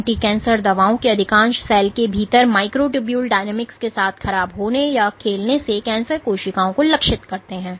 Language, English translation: Hindi, Most of anti cancer drugs target cancer cells by perturbing or playing with the microtubule dynamics within the cell